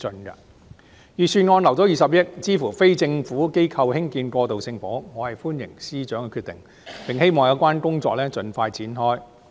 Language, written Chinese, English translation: Cantonese, 預算案預留20億元，支持非政府機構興建過渡性房屋，我歡迎司長的決定，並希望有關工作盡快展開。, The Budget proposes setting aside 2 billion to support non - governmental organizations in constructing transitional housing . I welcome the Financial Secretarys decision and hope that the work can be commenced as soon as possible